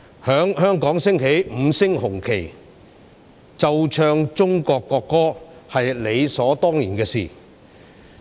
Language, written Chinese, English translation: Cantonese, 在香港升起五星紅旗，奏唱中國國歌，是理所當然的事。, It is only natural to hoist the five - star red flag and play and sing Chinas national anthem in Hong Kong